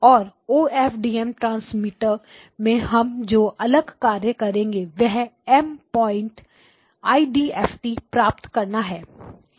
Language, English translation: Hindi, And what we do next in the OFDM transmitters is that you take a M point IDFT